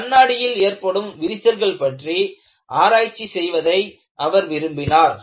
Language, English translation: Tamil, He was particularly interested in propagation of cracks in glass